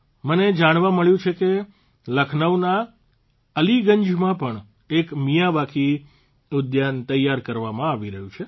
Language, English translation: Gujarati, I have come to know that a Miyawaki garden is also being created in Aliganj, Lucknow